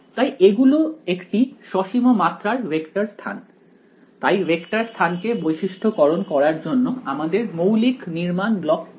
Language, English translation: Bengali, So, these are finite dimensional vector spaces, to characterize vector space, what does the most sort of basic building block